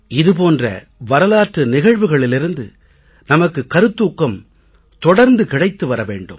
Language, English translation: Tamil, May we continue to be inspired by such incidents of our history